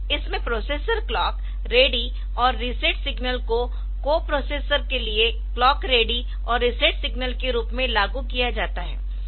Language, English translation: Hindi, Then the processor clock ready and reset signals are applied as clock ready and reset signals for co processors